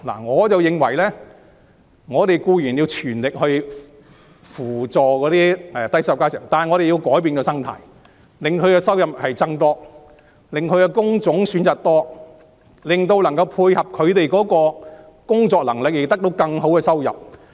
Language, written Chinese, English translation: Cantonese, 我認為應全力扶助低收入家庭，但我們同時要改變生態，令他們的收入增加，提供更多工種選擇以配合他們的工作能力，從而得到更好的收入。, I think we should make the utmost effort to support the low - income families but at the same time we should change the social ecology by increasing their income and providing them with more job choices suiting their working ability so as to enable them to make a better income